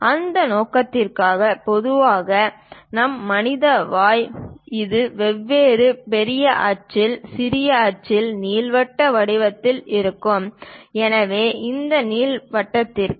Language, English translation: Tamil, For that purpose, usually our human mouth it is in elliptical format of different major axis, minor axis; so for an ellipse